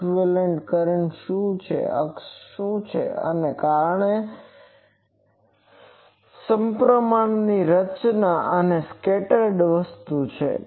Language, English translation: Gujarati, What is the equivalent current that is that the axis, and because it is a symmetrical structure and that the scattered thing is this